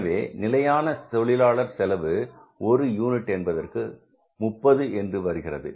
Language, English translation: Tamil, So, it means the total standard labor cost per unit was how much